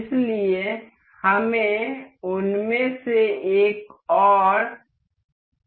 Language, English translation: Hindi, So, we need another of those